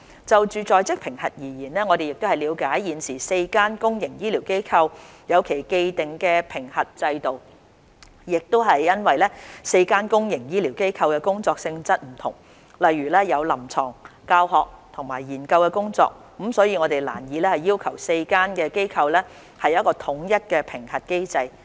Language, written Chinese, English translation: Cantonese, 就在職評核而言，我們了解現時4間公營醫療機構有其既定的評核制度，亦因為4間公營醫療機構的工作性質不同，例如有臨床、教學及研究工作，故此我們難以要求4間機構統一其評核機制。, We understand that the four public healthcare institutions have established their own assessment systems . Given that the four institutions carry out work of different nature such as clinical teaching or research work it would be difficult to require them to adopt a standardized assessment system